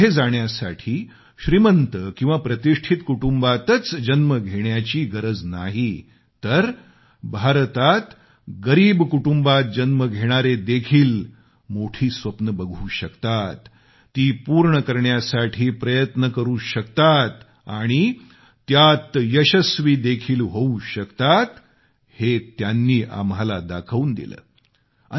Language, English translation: Marathi, He showed us that to succeed it is not necessary for the person to be born in an illustrious or rich family, but even those who are born to poor families in India can also dare to dream their dreams and realize those dreams by achieving success